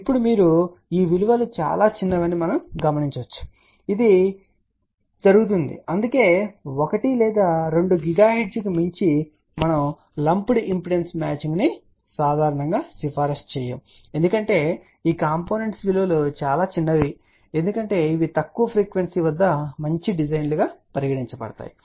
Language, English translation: Telugu, Now, you can see that these values are very small ok and which does happen, that is why we do not generally recommend lumped impedance matching beyond 1 or 2 gigahertz ok because these component values become very small these are good designs at lower frequency